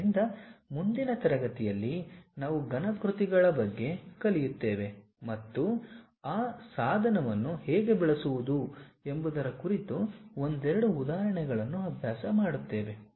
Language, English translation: Kannada, So, in the next class, we will learn about solid works and practice couple of examples how to use that tool